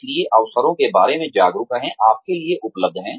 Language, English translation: Hindi, So, be aware of the opportunities, available to you